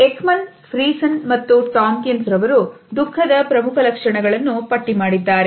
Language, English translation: Kannada, Ekman, Friesen and Tomkins have listed main facial features of sadness as being